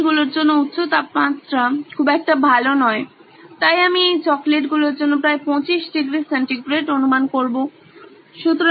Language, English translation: Bengali, The chocolates are not very good at high temperatures, so I would guess about 25 degree centigrade ought to do right for these chocolates